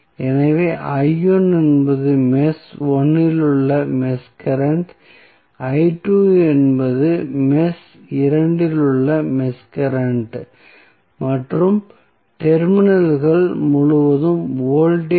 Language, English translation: Tamil, So, let us say I1 is the mesh current in mesh 1, I2 is the mesh current in mesh 2 and voltage across terminals AB is Vth